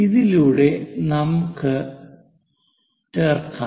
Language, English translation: Malayalam, So, let us look at this